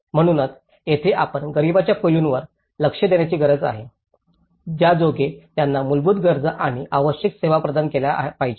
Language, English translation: Marathi, So, this is where we need to address that poverty aspect also into this providing them the basic needs and essential services